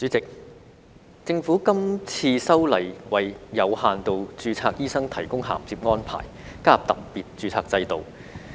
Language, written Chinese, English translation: Cantonese, 代理主席，政府這次修例為有限度註冊醫生提供銜接安排，加入特別註冊制度。, Deputy Chairman the legislative amendment proposed by the Government this time seeks to provide a bridging arrangement for limited registration doctors to migrate to a special registration regime